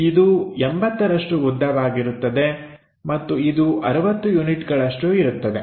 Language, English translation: Kannada, So, this will be 80 length and this one is 60 units